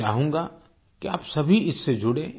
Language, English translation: Hindi, I want you all to be associated with this